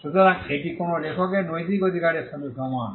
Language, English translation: Bengali, So, this is similar to the moral right of an author